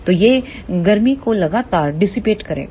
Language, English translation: Hindi, So, it will continuously dissipate the heat